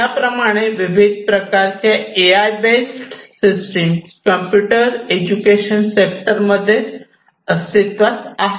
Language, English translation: Marathi, Like this, there are many different types of AI based systems in education sector that are available for use